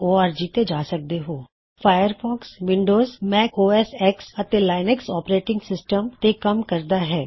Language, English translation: Punjabi, Firefox works on Windows, Mac OSX, and Linux Operating Systems